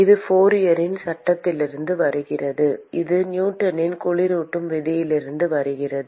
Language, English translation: Tamil, This comes from Fourier’s law; and this comes from Newton’s law of cooling